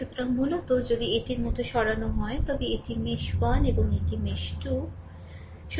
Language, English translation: Bengali, So, basically if you move like this, for this is mesh 1 and this is mesh 2